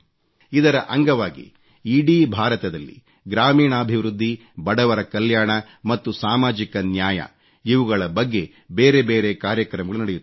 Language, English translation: Kannada, Under the aegis of this campaign, separate programmes on village development, poverty amelioration and social justice will be held throughout India